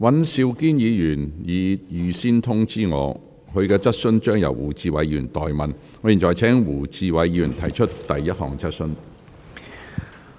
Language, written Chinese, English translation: Cantonese, 尹兆堅議員已預先通知我，其質詢會由胡志偉議員代為提出。, Mr Andrew WAN has informed me in advance that Mr WU Chi - wai will ask the question on his behalf